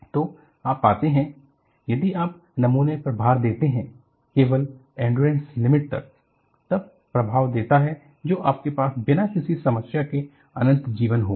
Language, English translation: Hindi, So, what you find is, if you load the specimen, only to the endurance limit, it gives an impression that, you will have infinite life without any problem